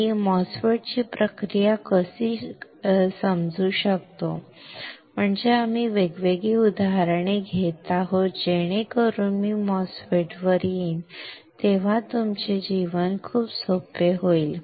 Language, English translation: Marathi, How can I understand process of MOSFET that is why we are taking different examples so that when I come to the MOSFET your life would be very easy will be extremely easy